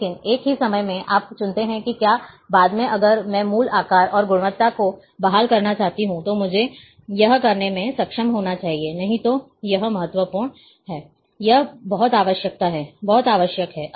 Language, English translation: Hindi, But the same time you have choose whether the, later on if I want to restore to the original size, and quality, I should be able to do it or not, that, that is very much important, that is very much required